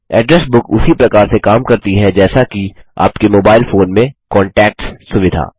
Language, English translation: Hindi, An address book works the same way as the Contacts feature in your mobile phone